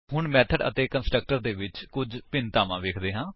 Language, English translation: Punjabi, Now, let us see some differences between method and a constructor